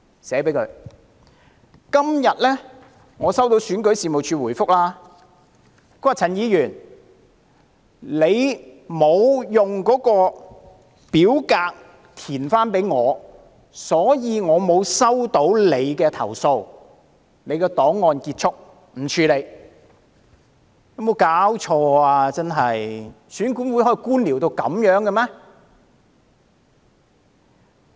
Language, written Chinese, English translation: Cantonese, 我今天收到選舉事務處的回覆："陳議員，你沒有交回已填寫的表格，所以我們沒有收到你的投訴，你的檔案就此結束，不會處理"。, Today I received the reply from the Registration and Electoral Office which states to this effect Mr CHAN you did not return a filled in form so we did not receive your complaint and your case will thus close and not be dealt with